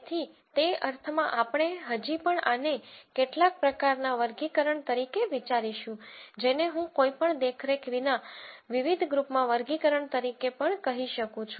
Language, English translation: Gujarati, So, in that sense we would still think of this as some form of categorization which I could also call as classification into different groups without any super vision